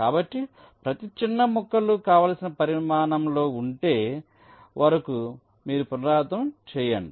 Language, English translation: Telugu, so you go on repeating till each of the small pieces are of the desired size